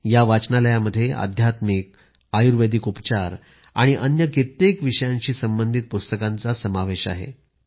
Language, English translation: Marathi, In this library, books related to spirituality, ayurvedic treatment and many other subjects also are included